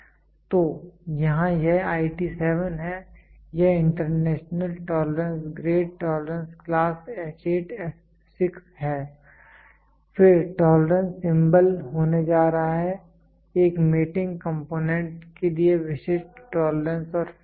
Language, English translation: Hindi, So, here it is IT 7 it is international tolerance grade tolerance class is H8 f 6, then tolerance symbol is going to be there are specific tolerance and fits for a mating component